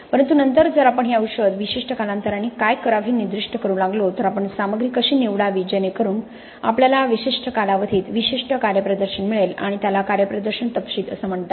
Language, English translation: Marathi, But then if we start specifying what this medicine should do at distinct intervals of time, how do we choose the material so that you get a specific performance at distinct intervals of time and that is called performance specifications